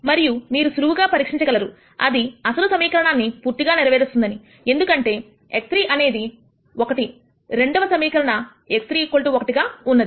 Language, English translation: Telugu, And you can easily verify that this satis es the original equation since x 3 is 1, the second equation is x 3 equal to 1